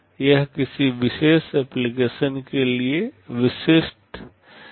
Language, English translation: Hindi, It will be very specific to a particular application